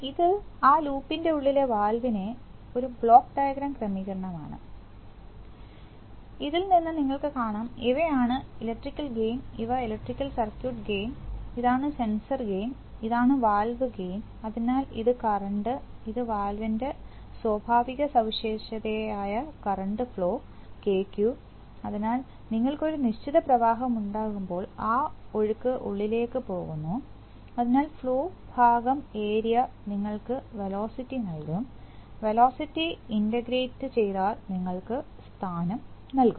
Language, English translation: Malayalam, This is a block diagram arrangement of the, of the valve, of that loop, so you see that these, these are the, these are the electrical gains, these are the electrical circuit gains, this is the sensor gain, this is the valve gain, so this is, this is current, this is the current to flow characteristic KQ of the valve, so when you have a certain flow then that flow is going in, so flow by area will give you velocity and velocity, integrated will give you position